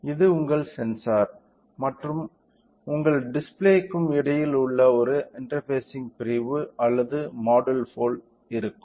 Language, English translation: Tamil, So, this will be like a interfacing unit or module between your sensor and your display right